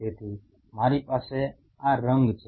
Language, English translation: Gujarati, So, I have this color